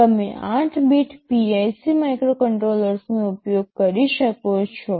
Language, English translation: Gujarati, You can use 8 bit PIC microcontrollers